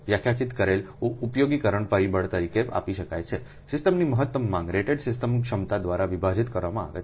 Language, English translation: Gujarati, so utilization factor you define uf is can be given as maximum demand of the system divided by rated system capacity